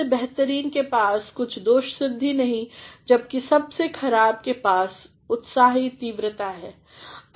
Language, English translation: Hindi, The best lack all conviction while the worst are full of passionate intensity